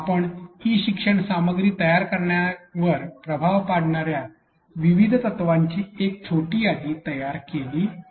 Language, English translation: Marathi, We have created a small curated list of various principles which have impact on creation of e learning content